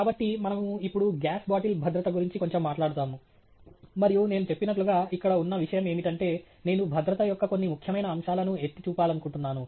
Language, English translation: Telugu, So, we will now talk a little bit about gas bottle safety, and as I mentioned, the point here is that I am just highlighting some very important aspects of safety